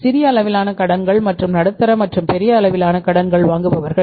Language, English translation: Tamil, Small scale borrowers and the non small scale borrowers is large medium and large scale borrowers